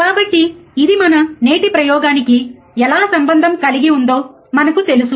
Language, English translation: Telugu, So, this we know, how it is related to our today’s experiment